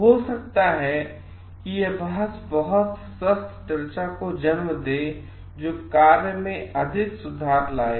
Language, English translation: Hindi, And may be this debate gives rise to very healthy discussion which brings out more improvement in the task